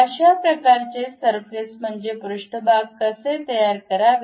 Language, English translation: Marathi, How to construct such kind of surfaces